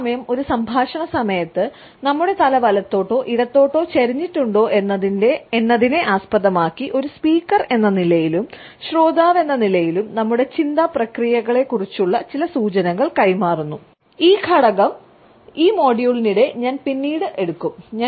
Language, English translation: Malayalam, At the same time whether our head is tilted towards the right or towards the left during a dialogue, as a speaker or as a listener also passes on certain clues about our thought processes this aspect I would take up slightly later during this module